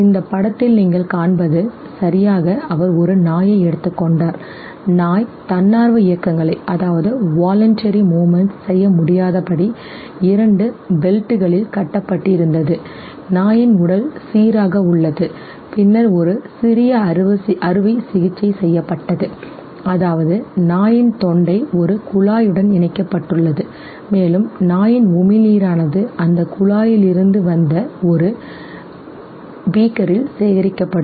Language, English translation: Tamil, He took a dog the dog was fastened to two belts so that he could not make voluntary movements, his body remains stable and then a small surgery was performed such that the throat of the dog was connected to a tube and from that tube the saliva that was secreted by the dog would come and get collected in a beaker